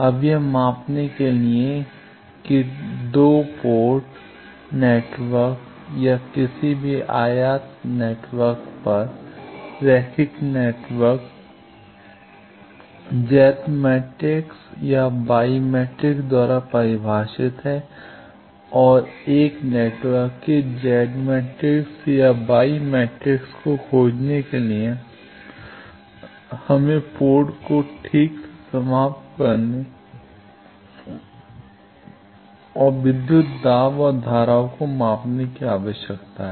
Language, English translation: Hindi, Now, for measuring that at 2 port network or any import network, linear network it characterize by Z matrix or Y matrix and for finding Z matrix or Y matrix of an network, we need to terminate properly the ports and measure either voltage and currents